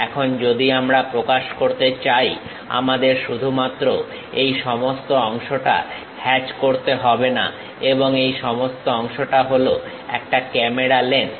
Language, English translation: Bengali, Now, if I want to really represent, I do not have to just hatch all this part and all this part is a camera lens